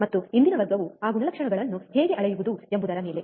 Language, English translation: Kannada, And the today’s class is on how to measure those characteristics